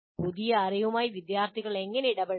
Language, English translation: Malayalam, Once the students are engaged with the knowledge, how do you engage